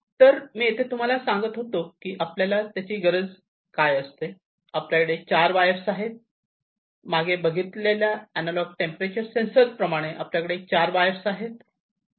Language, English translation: Marathi, So over here as I was telling you that we need so, we have 4 wires over here, unlike the previous analog temperature one so, we have 4 wires